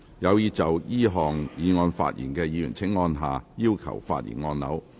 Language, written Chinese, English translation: Cantonese, 有意就這項議案發言的議員請按下"要求發言"按鈕。, Members who wish to speak on the motion will please press the Request to speak button